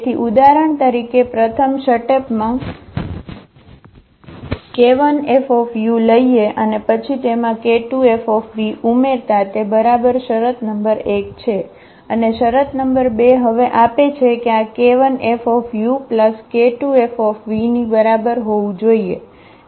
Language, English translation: Gujarati, So, in the first step for example, we will think it as k 1 u and then plus this k 2 v, this is exactly the condition number 1 and the condition number 2 gives now that this should be equal to k 1 F u and plus this k 2 F v